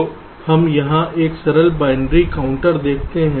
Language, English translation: Hindi, ok, fine, so let us look at a simple binary counter here